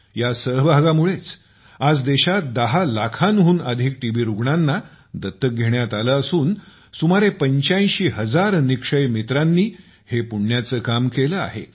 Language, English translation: Marathi, It is due to this participation, that today, more than 10 lakh TB patients in the country have been adopted… and this is a noble deed on the part of close to 85 thousand Nikshay Mitras